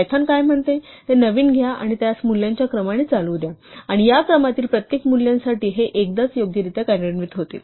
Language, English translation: Marathi, So, what python says is take a new name and let it run through a sequence of values, and for each value in this sequence executes this once right